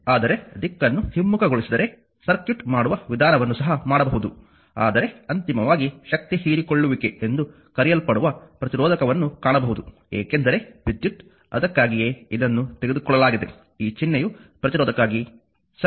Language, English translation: Kannada, But if we reverse the direction also method solving circuit one can do it, but ultimately we will find resistor actually your what you call that absorbing power because current, that is why this conversely is taken this symbol is for resistor, right